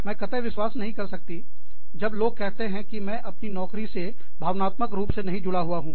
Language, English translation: Hindi, I just, do not believe people, when they say, i am not emotionally attached to my job